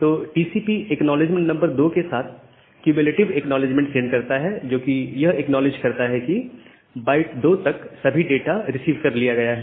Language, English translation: Hindi, So, TCP sends a cumulative acknowledgement with acknowledgement number 2 which acknowledges everything up to byte 2